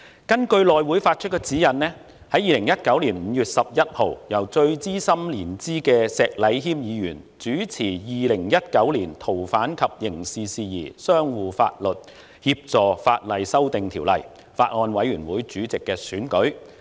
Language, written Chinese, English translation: Cantonese, 2019年5月11日，根據內務委員會發出的指引，由年資最深的石禮謙議員主持《2019年逃犯及刑事事宜相互法律協助法例條例草案》法案委員會主席選舉。, On 11 May 2019 according to the guidelines provided by the House Committee Mr Abraham SHEK the most senior Member was to chair the election of Chairman of the Bills Committee on Fugitive Offenders and Mutual Legal Assistance in Criminal Matters Legislation Amendment Bill 2019